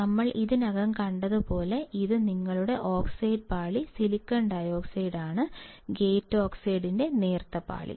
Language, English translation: Malayalam, This is your oxide layer SiO2, thin layer of gate oxide, as we already have seen